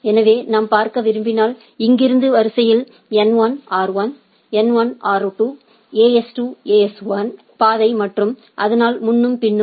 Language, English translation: Tamil, So, in order from here if I want to see N1, R2, N1, R2, AS2, AS1 is the path and so and so forth